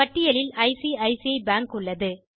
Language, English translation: Tamil, So ICICI bank is listed